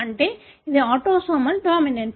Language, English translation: Telugu, That means it is autosomal dominant